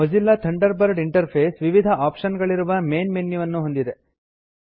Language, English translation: Kannada, The Mozilla Thunderbird interface has a Main menu with various options